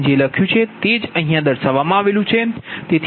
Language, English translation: Gujarati, whatever is written here, same thing is written here